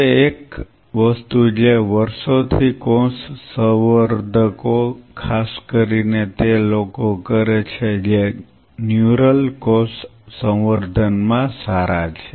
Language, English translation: Gujarati, Now, one of the thing which over the years cell culturist have done especially those people who are good at neural cell culture